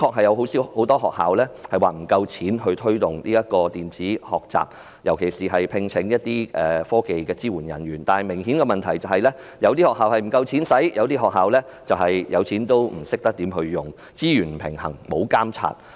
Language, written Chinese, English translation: Cantonese, 有很多學校的確不夠資金推動電子學習，尤其是聘請科技支援人員，但問題是有些學校資金不足，但有些學校則是有資金卻不懂得如何運用，資源分配不均亦沒有監察。, Many schools actually did not have enough funding to promote electronic learning particularly in employing technical support personnel . The problem is some schools did not have enough funding while some others did not know how to utilize their funding and the Education Bureau failed to notice the uneven distribution of resources